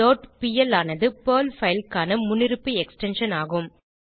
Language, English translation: Tamil, dot pl is the default extension of a Perl file